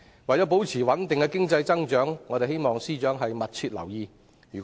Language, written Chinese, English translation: Cantonese, 為保持穩定的經濟增長，我們希望司長密切留意局勢。, To maintain stable economic growth we hope that the Financial Secretary will pay close attention to the situation